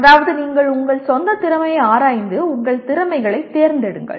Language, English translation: Tamil, That is you inspect your own skill and select your skills